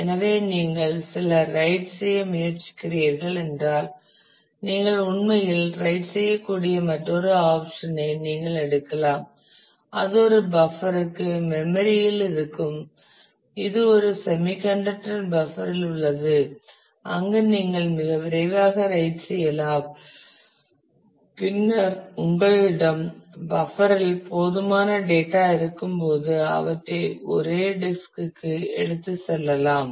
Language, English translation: Tamil, So, if you are trying to do some write you have you can take another option that you actually write that to a buffer a buffer which is in the memory in the it is a in the a semiconductor buffer where you can very quickly write and then when you have enough data in the buffer then you can take them in a single go to the disk